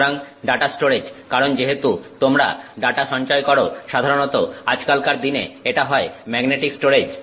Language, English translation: Bengali, So, in data storage as you know that you know you are storing data in typically these days it is magnetic storage